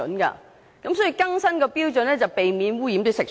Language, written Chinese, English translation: Cantonese, 所以，更新標準才可避免污染食水。, So updating the standards can avoid pollution of drinking water